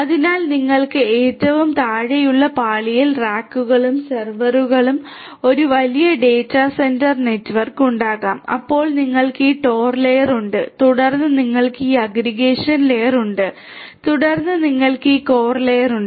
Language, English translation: Malayalam, So, you are going to have a huge data centre network with racks and servers at the very bottom layer, then you have this tor layer, then you have this aggregation layer and then you have this core layer